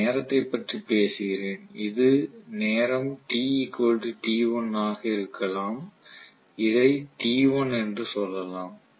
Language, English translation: Tamil, So I am taking about the time may be this is corresponding to let us say time t equal to t1 may be this is t1